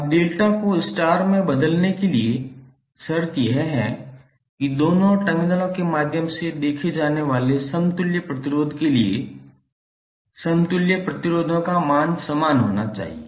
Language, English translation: Hindi, Now, the condition for conversion of delta into star is that for for the equivalent resistance seen through both of the terminals, the value of equivalent resistances should be same